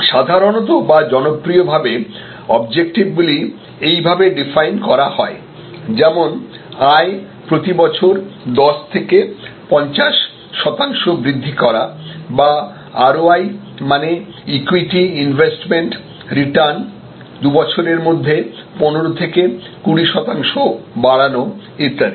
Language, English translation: Bengali, Normally or popularly, objectives are define like this, that increase earnings growth from 10 to 15 percent per year or boost return on equity investment in short often called ROI, from 15 to 20 percent in 2 years or something like that